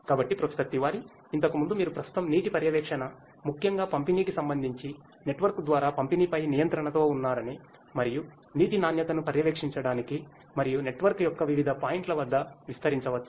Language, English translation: Telugu, So, Professor Tiwari, earlier you said that at present what you have is the water monitoring particularly with respect to distribution, control over the distribution over the network and can it be extended for monitoring the water quality as well at different points of the network